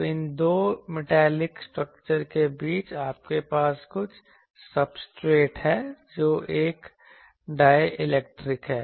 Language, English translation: Hindi, So, between the two these metallic structures, you have some substrate that is a dielectric